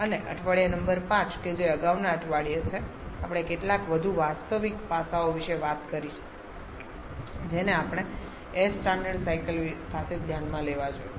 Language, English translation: Gujarati, And in week number 5 that is in the previous week we have talked about some more realistic aspects that we should consider along with the air standard cycles